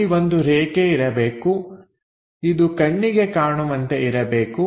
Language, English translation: Kannada, And there should be a line this one this one supposed to be visible